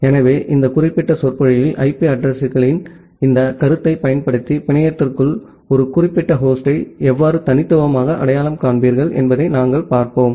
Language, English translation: Tamil, So, in this particular lecture, we will look into that how will you uniquely identify a particular host inside the network using this concept of IP addresses